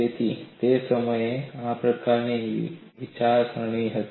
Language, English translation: Gujarati, So, this kind of thinking was there at that time